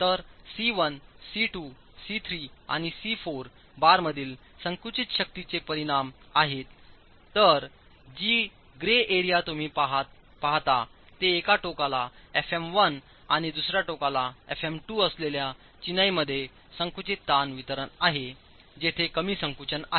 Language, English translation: Marathi, So, C1, C2, C3 and C4 are the resultants of the compressive forces in the bars, whereas the grey area that you see is the compressive stress distribution in the masonry with fm 1 on 1 end and fm 2 on the on the end where the section is less compressed